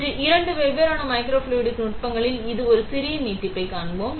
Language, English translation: Tamil, Today we will see a small extension of this in a two different microfluidic techniques